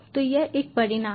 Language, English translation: Hindi, so this is a test